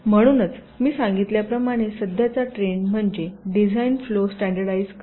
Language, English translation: Marathi, so the present trend, as i had mentioned, is to standardize the design flow